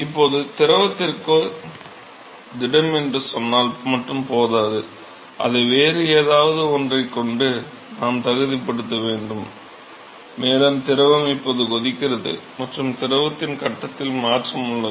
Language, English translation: Tamil, Now it is not just enough to say solid to fluid we have to qualify it with something else and the reason is that the fluid is now boiling and there is change in the phase of the fluid